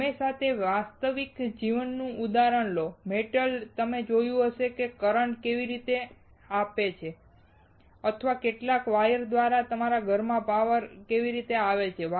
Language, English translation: Gujarati, Always take a real life example, metal, what you see right how the current comes or how the power comes to your home through some wires